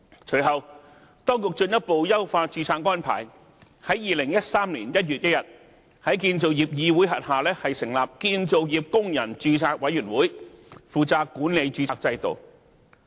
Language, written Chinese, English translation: Cantonese, 隨後，當局進一步優化註冊安排，在2013年1月1日，在建造業議會轄下成立建造業工人註冊委員會，負責管理註冊制度。, Subsequently the Administration further optimized the registration arrangements and on 1 January 2013 established the Construction Workers Registration Board under CIC to take charge of the management of the registration system